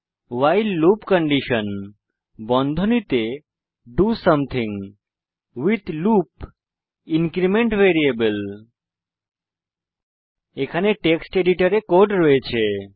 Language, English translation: Bengali, while loop condition { do something with loop increment variable } I already have the code in a text editor